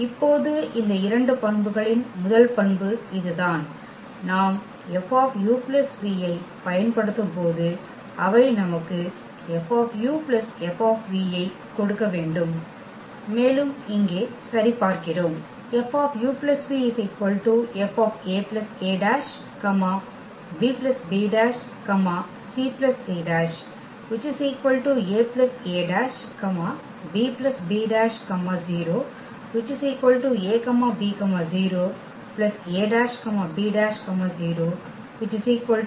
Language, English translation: Tamil, And now these 2 properties of the first property is this that when we apply F on this u plus v they should give us F u plus F v and that we will check here